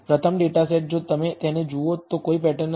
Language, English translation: Gujarati, The first data set if you look at it exhibits no pattern